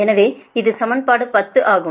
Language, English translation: Tamil, so this is equation ten